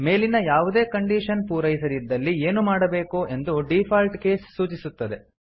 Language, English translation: Kannada, Default case specifies what needs to be done if none of the above cases are satisfied